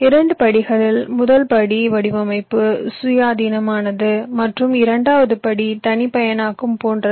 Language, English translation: Tamil, the first step is design independent and the second step is more like customization